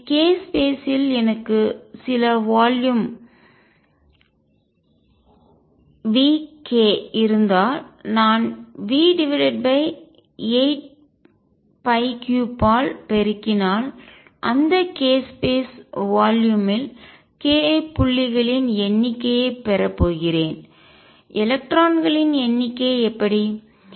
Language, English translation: Tamil, So, if I have a some volume k space v k if I multiply that by v over 8 pi cubed I am going to get the number of k points in that k space volume, how about the number of electrons